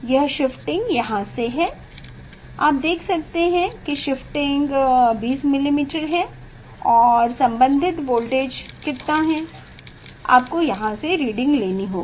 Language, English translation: Hindi, This shifting is, from here you can see the shifting is 20 millimetre and corresponding voltage how much, you have to take reading from here